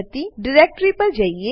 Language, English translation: Gujarati, Lets go to that directory